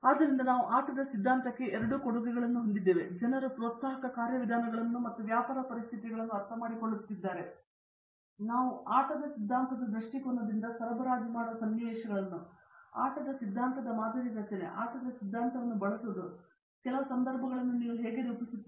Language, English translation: Kannada, So, we have both contributions to game theory and we have more game theoretic models like people have been taking about incentive mechanisms and understanding business situation, typically supply chain situations from game theory point of view, game theoretic modeling, how do you model certain situations using game theory